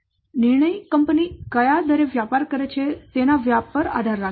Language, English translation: Gujarati, So the decision depends on the rate at which its business it expands